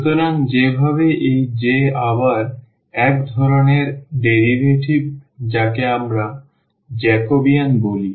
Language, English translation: Bengali, So, the way this J is again kind of derivative which we call Jacobian